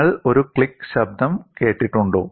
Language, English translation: Malayalam, Have you heard a click sound